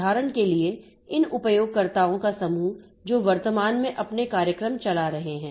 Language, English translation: Hindi, For example, the set of users who are currently running their programs, okay